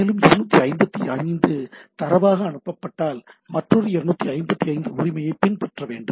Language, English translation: Tamil, And if a 255 is sent as data, then there should be followed by another 255 right